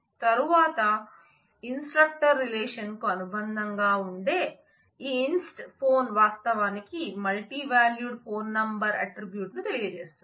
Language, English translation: Telugu, And then this inst phone in conjunction with the instructor relation will actually denote the multi valued phone number attribute